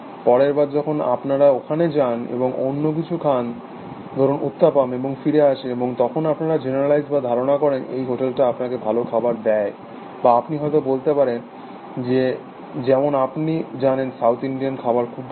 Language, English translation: Bengali, Next time you go there, and you have something else, let us say oottapam and you come back, and then you generalize, that this hotel, gives you good food or you might say that, you know, south Indian food is very good